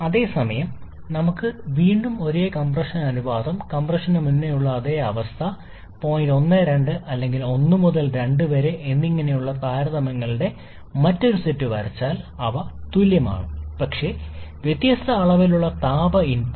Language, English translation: Malayalam, Whereas if we draw another set of comparison where we again have the same compression ratio, same state before compression that is point 1 and 2 or 1 to 2, they are same but different amount of heat input